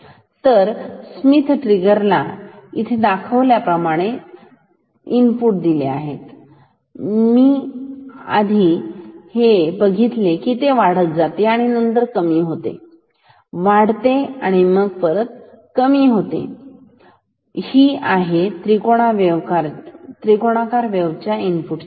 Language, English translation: Marathi, So, the input so the input applied to this Schmitt trigger is like this it increases and then decreases, increases and then decreases, it is a triangular wave input time